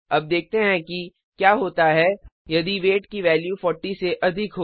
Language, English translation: Hindi, Let us see what happens if the value of weight is greater than 40